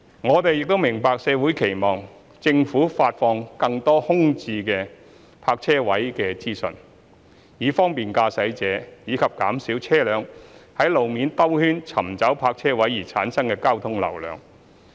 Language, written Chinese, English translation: Cantonese, 我們亦明白社會期望政府發放更多空置泊車位資訊，以方便駕駛者，以及減少車輛在路面兜圈尋找泊車位而產生的交通流量。, We also understand that the community expects the Government to release more information on vacant parking spaces for the convenience of motorists and to reduce the traffic flow generated by vehicles circulating on roads in nearby areas in search of parking spaces